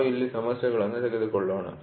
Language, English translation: Kannada, So, let us take the problem here